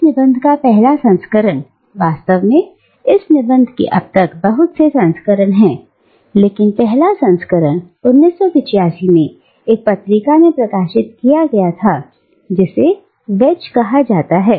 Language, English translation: Hindi, " And, the first version of this essay, indeed this essay has a number of versions now, but the first version was published in 1985 in a journal called Wedge